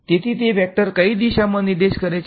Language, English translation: Gujarati, So, that is a vector which is pointing in which way